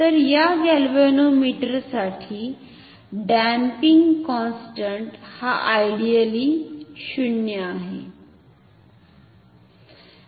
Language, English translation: Marathi, So, in a ballistic galvanometer the damping constant is 0 ideally ok